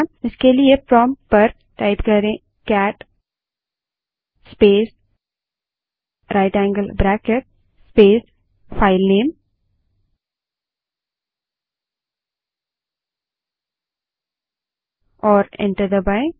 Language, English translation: Hindi, For this type at the prompt cat space right angle bracket space filename say file1 and press enter